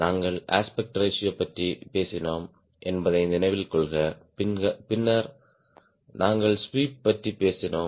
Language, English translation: Tamil, remember we talked about aspect ratio, then we talk about sweep